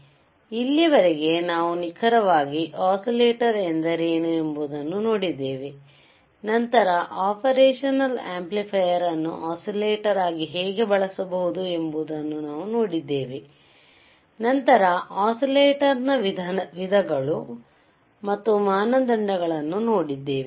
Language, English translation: Kannada, So, until now we have seen what exactly oscillators isare, then we have seen how you can use operational amplifier as an oscillator, then we have seen kinds of oscillators and the criteria right